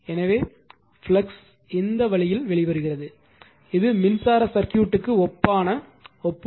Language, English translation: Tamil, So, flux is coming out this way you take this is analogous analogy to electric circuit right